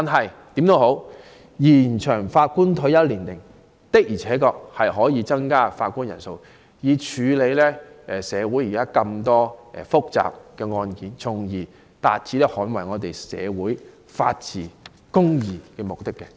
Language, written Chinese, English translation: Cantonese, 無論如何，延展法官退休年齡確實有助增加法官人數，以處理現時大量的複雜案件，從而達致捍衞社會法治和公義的目的。, Nevertheless extension of retirement age will indeed help to increase the number of judges to handle the large number of complicated cases at present so as to uphold the rule of law and justice in our society